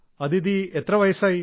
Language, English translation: Malayalam, Aditi how old are you